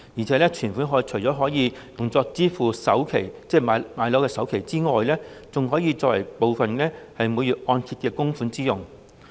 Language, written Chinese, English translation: Cantonese, 再者，存款除了可以用作支付置業的首期之外，部分更可以作為每月按揭供款之用。, Furthermore apart from allowing savings to be used as the down payment in property acquisition part of the savings can also be used for monthly mortgage repayment